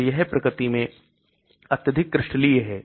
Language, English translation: Hindi, So it is highly crystalline in nature